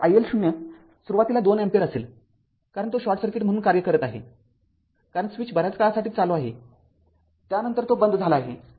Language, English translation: Marathi, So, i L 0 initially it will be 2 ampere right it will because, it is it is acting as short short circuit because switch was closed for a long time after that it was open